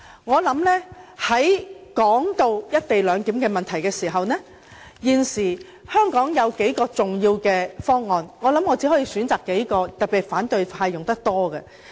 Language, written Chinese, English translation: Cantonese, 談到"一地兩檢"的問題，現時香港有數項重要方案，我想選擇數項，特別是反對派較常使用的方案作解釋。, This is fallacious . Talking about the co - location arrangement there are now a few major arguments in Hong Kong and I will explain a few especially those frequently cited by the opposition